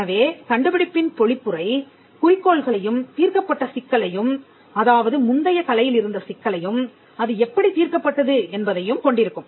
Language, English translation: Tamil, So, the summary of the invention will have the objectives and the problem that was solved, problem as in the problem in the prior art that was solved